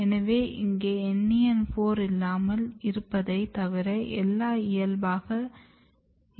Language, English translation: Tamil, So, here everything is normal except NEN4 is not present